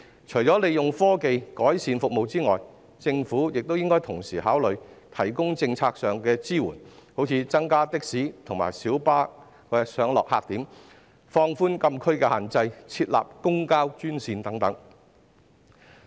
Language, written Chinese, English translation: Cantonese, 除利用科技改善服務外，政府亦應同時考慮提供政策上的支援，例如增加的士及小巴上落客點、放寬禁區的限制及設立公共交通專線等。, Apart from using technologies to improve services the Government should at the same time consider providing policy support such as setting up additional pick - updrop - off points for taxis and minibuses relaxing the restrictions in prohibited zones and designating public transport - only lanes